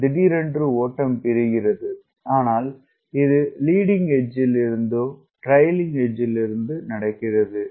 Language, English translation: Tamil, the flow separates, but this happens from leading edge to trailing edge